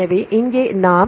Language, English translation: Tamil, So, here we use the identity of 0